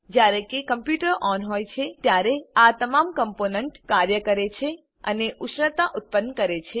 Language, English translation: Gujarati, When the computer is on, all these components work and generate heat